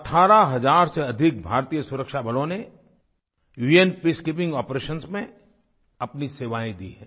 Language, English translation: Hindi, More than 18 thousand Indian security personnel have lent their services in UN Peacekeeping Operations